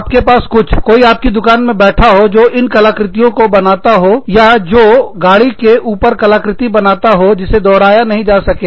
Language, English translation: Hindi, You have something, somebody sitting in your shop, who is painting these designs, or, who is creating car art, that cannot be replicated